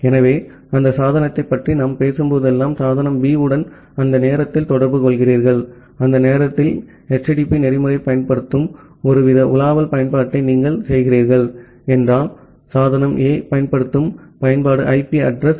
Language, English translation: Tamil, So that means, whenever we talk about that device A is communicating with device B during that time, it is actually if you are doing some kind of browsing application which is using HTTP protocol during that time the device A, the application which is using the TCP protocol at a port 8081 on the machine with IP address 202